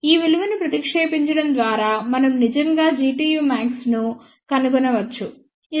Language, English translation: Telugu, By substituting these values, we can actually find out G tu max that comes out to be 11